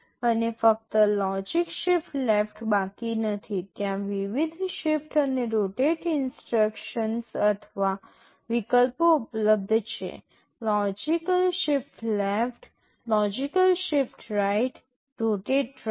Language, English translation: Gujarati, And, not only logical shift left, there are various shift and rotate instructions or options available; logical shift left, logical shift right, rotate right